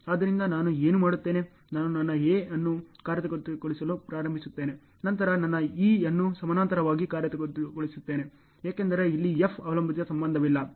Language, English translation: Kannada, So, what I do; I start executing my A, then executing my E in parallel, because there is no dependency relationship here then F